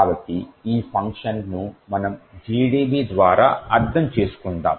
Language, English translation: Telugu, So, the way we will understand this function is through GDB